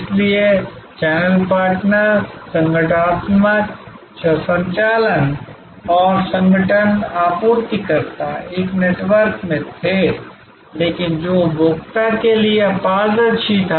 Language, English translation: Hindi, So, the channel partners, the organizational operations and the organisations suppliers were in a network, but which was sort of opaque to the consumer